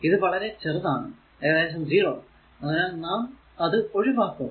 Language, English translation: Malayalam, So, it is also small it is almost 0 will neglect it, right